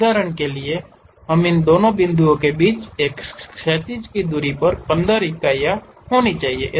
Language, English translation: Hindi, For example, the horizontal distances between these 2 points supposed to be 15 units